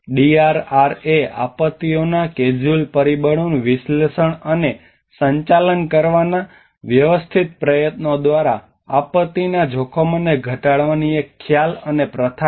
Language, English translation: Gujarati, The DRR is a concept and practice of reducing disaster risks through a systematic efforts to analyse and manage the casual factors of disasters